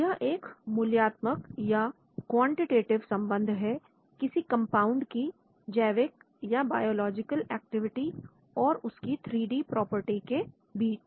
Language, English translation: Hindi, It is a quantitative relationship between the biological activity of set of compounds and their three dimensional properties